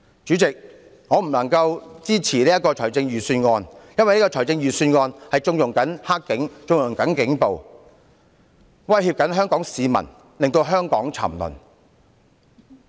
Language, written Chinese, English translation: Cantonese, 主席，我不能支持這項預算案，因為這項預算案縱容了"黑警"和警暴，威脅香港市民，令香港沉淪。, President I cannot support this Budget because it condones dirty cops and police brutality threatens Hong Kong people and makes Hong Kong sink into degradation